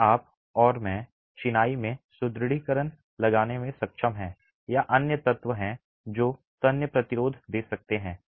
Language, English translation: Hindi, Today you and I are able to put reinforcement into masonry or have other elements that can give tensile resistance